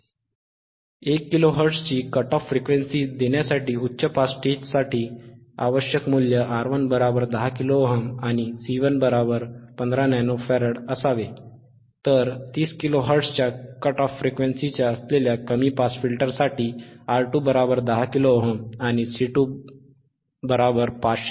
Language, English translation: Marathi, So, from here R 11 and C 1 required for high pass stage to give a cut off frequency of 1 kilo hertz orare 10 kilo ohm and 5015 nano farad, whereile R 2, C 2 for a low pass filter isof cut off frequency of 30 kilo hertz andare 10 kilo ohm and 510 pico farad, right